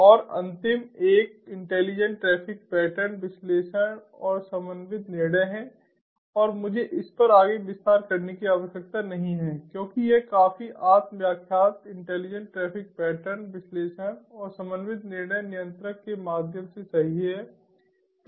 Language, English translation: Hindi, and the last one is intelligent traffic pattern analysis and coordinated decisions, and i dont need to elaborate further on this because this is quite self explanatory: intelligent traffic pattern analysis and coordinated decision making through the controller, right